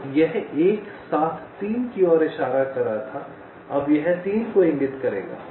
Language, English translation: Hindi, so this one seven was pointing to three, now it will be pointing to three